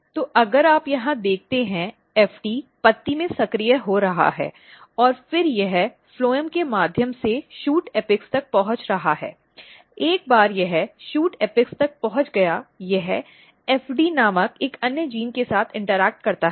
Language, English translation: Hindi, So, eventually if you look here FT is getting activated in leaf and then it is moving through the phloem to the shoot apex once it reached to the shoot apex it basically interact with another gene called FD and these two are very very important